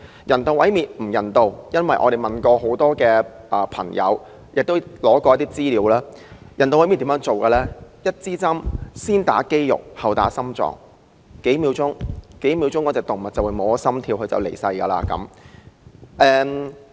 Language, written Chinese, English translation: Cantonese, 人道毀滅並不人道，我們曾向很多人士查詢，得到的資料是進行人道毀滅時，先用針把藥物注射入肌肉，然後再注射到心臟，令動物在數秒內心跳停頓，繼而離世。, It is inhumane to euthanize animals . According to the information obtained from our enquiries with a number of sources when performing euthanasia on animals a dose of drug will first be injected into their muscle and another will then be injected into their hearts which will stop beating within a few seconds and the animals will pass away